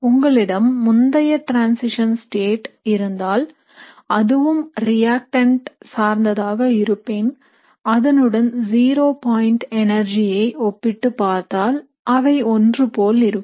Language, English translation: Tamil, So if you have an early transition state, which is very reactant like what you would see is if you have, so if you compare the zero point energies they will be very similar